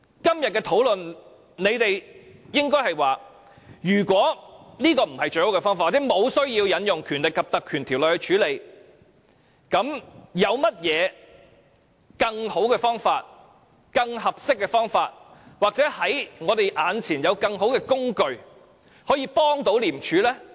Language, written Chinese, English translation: Cantonese, 今天這項討論，若說這不是最好的方法或無需引用《條例》處理，你們也應該提出有何更好、更合適的方法或我們眼前有何更好的工具，可以協助廉署。, With regard to the motion under discussion if this is not the best way to deal with the matter or there is no need to invoke the Ordinance suggestions should at least be made to tell us what better and more appropriate alternatives or better tools are available to assist ICAC